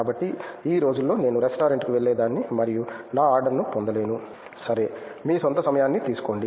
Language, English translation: Telugu, So, these days I used to go to a restaurant and I don’t get my order okay take your own time no problem